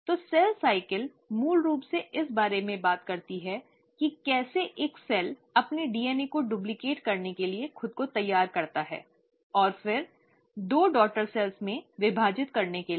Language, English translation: Hindi, So cell cycle basically talks about how a cell prepares itself to duplicate its DNA and then, to divide into two daughter cells